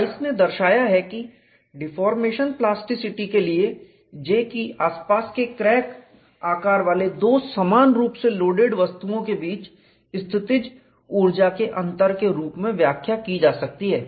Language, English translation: Hindi, Rice has shown that for deformation plasticity J can be interpreted as a potential energy difference between two identically loaded bodies having neighboring crack sizes